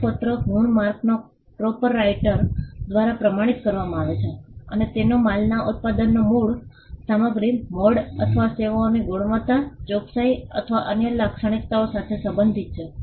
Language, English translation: Gujarati, Certification marks are certified by the proprietor of the mark and they pertain to origin material mode of manufacture of goods or performance of services, quality, accuracy or other characteristics